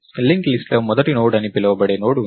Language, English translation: Telugu, The linked list has a Node called the first node, right